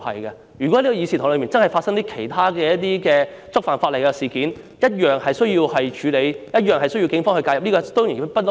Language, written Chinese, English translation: Cantonese, 如果在這個議事堂內，真的發生觸犯法例的事件，一樣需要處理，一樣需要警方介入。, If any illegal incident really happens in this Council it should be handled and intervened by the Police